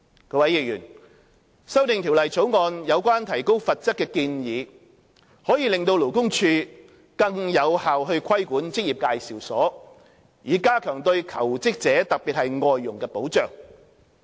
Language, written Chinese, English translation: Cantonese, 各位議員，《條例草案》有關提高罰則的建議可令勞工處更有效規管職業介紹所，以加強對求職者特別是外傭的保障。, Honourable Members the proposal to raise the penalties as contained in the Bill enables LD to exercise more effective regulation over EAs and afford better protection to job - seekers FDHs in particular